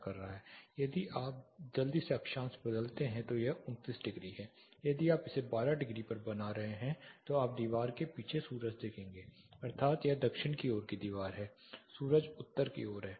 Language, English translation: Hindi, If you quickly change the latitude now it is 29 degree say if you are making it is a 12 degree you will have sun behind the wall that is it is a south facing wall sun is to the north